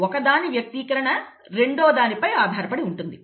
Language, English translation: Telugu, Expression of one is dependent on the other